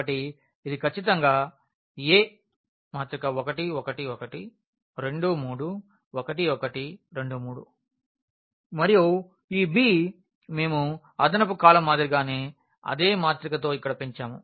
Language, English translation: Telugu, So, this is precisely the A 1 1 1 2 3 1 and 1 2 3 and this b we have augmented here with the same matrix as extra column